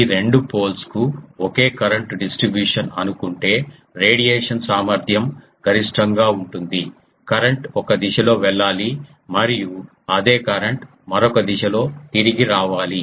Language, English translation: Telugu, If these two poles assume same current distribution the radiation efficiency is maximum the current should go in one direction and the same current should return to the other one